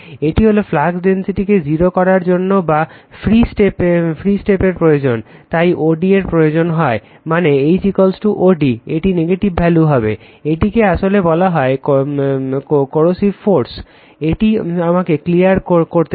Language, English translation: Bengali, This is your whatever free step is required right to make the flux density is 0, this o d is required that is your H is equal to o d, this will be negative value, this is actually called coercive force right let me clear it